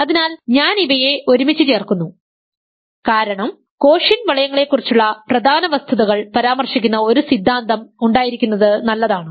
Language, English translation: Malayalam, So, I am putting these things together, because it is good to have one theorem which mentions the important facts about quotient rings